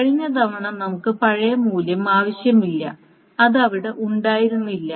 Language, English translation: Malayalam, So the last time we did not require the old values